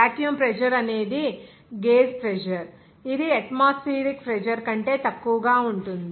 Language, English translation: Telugu, Vacuum pressure is a gauge pressure that is below atmospheric pressure